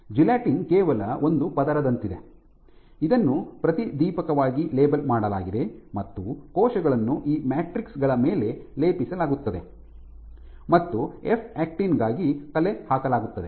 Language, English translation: Kannada, So, the gelatin is only like a layer it is a coating you can it has been fluorescently labeled and what we have done is we have plated cells, this is stained for f actin on top of these matrices